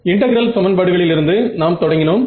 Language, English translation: Tamil, So, when we come to integral equation methods ok